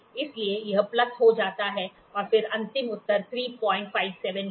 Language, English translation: Hindi, So, it becomes plus and then the final answer is 3